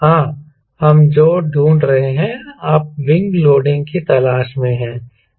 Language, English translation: Hindi, yes, what we are looking for, you are looking for wing loading